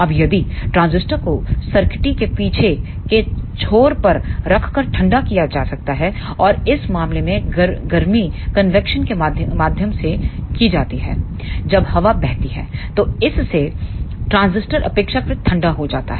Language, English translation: Hindi, Now, if the transistor can also be cooled by placing at the back end of the circuitry and in this case the heat goes through the convection when air flows then this makes the transistor relatively cool